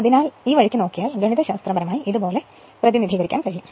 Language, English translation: Malayalam, So, this this way you can mathematically you can represent like this